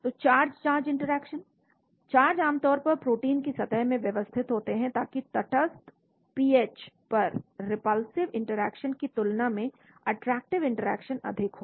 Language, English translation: Hindi, So charge charge interactions, the charges in the surface of the protein are generally arranged, so that there are more attractive than repulsive interactions near neutral pH